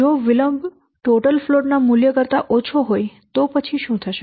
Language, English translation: Gujarati, If the delay is less than the total float value then what will happen